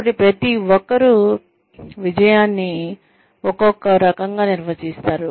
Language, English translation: Telugu, So, everybody defines success, differently